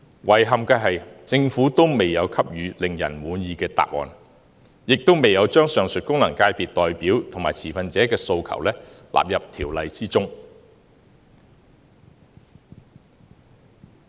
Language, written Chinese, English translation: Cantonese, 遺憾的是，政府未有給予令人滿意的答案，亦未有將上述功能界別代表及持份者的訴求納入《條例草案》。, Regrettably the Government has neither provided any satisfactory answer nor incorporated the requests of the representatives and stakeholders of the above mentioned FCs in the Bill